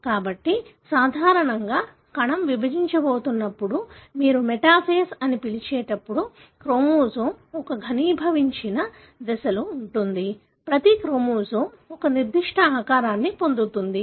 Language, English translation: Telugu, So, normally when the cell is about to divide, what you call metaphase, the chromosome is at a, such a condensed stage, each chromosome attains a particular shape